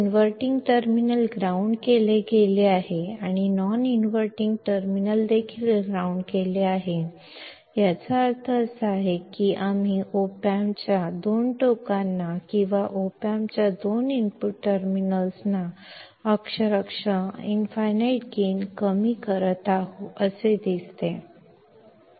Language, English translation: Kannada, If inverting terminal is grounded and the non inverting is also grounded, that means, it looks like we are virtually shorting the two ends of the op amp or the two input terminals of the op amp